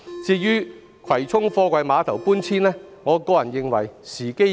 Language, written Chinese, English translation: Cantonese, 至於葵涌貨櫃碼頭搬遷，我個人認為時機已過。, As for the relocation of the Kwai Chung Container Terminals I personally think that the time has already passed